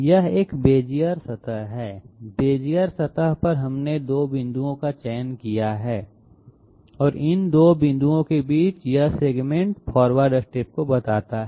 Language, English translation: Hindi, This is a Bezier surface, on the Bezier surface we have selected two points and in between these 2 points this segment represents the forward step